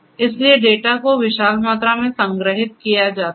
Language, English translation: Hindi, So, huge volumes of data are stored